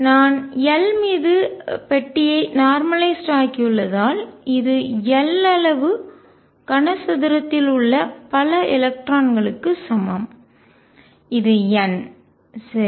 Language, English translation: Tamil, And this is since I have box normalized over L this is equal to a number of electrons in cube of size L which is n right